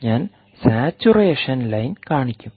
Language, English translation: Malayalam, i will show the saturation line